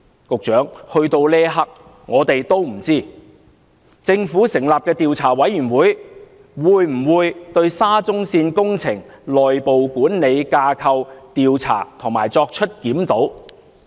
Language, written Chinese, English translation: Cantonese, 局長，到了這一刻，我們也不知道，政府成立的調查委員會會否對沙中線工程內部管理架構作出調查及檢討？, Secretary we still do not know at this moment whether the Commission set up by the Government would look into and review the internal management structure of the SCL Project